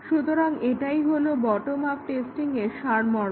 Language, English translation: Bengali, This is an example of bottom up testing